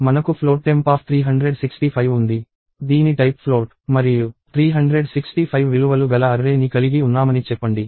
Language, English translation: Telugu, So, we have float temp of 365; say we have an array of type float and 365 values